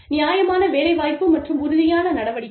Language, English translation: Tamil, Fair employment versus affirmative action